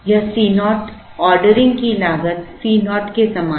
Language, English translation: Hindi, This C naught, is very similar to the ordering cost C naught